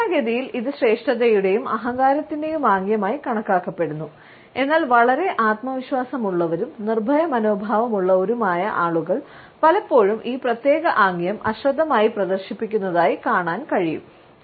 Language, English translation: Malayalam, Normally, it is considered to be a gesture of superiority and arrogance, but very often we find that people who are highly self confident and have a fearless attitude also often inadvertently display this particular gesture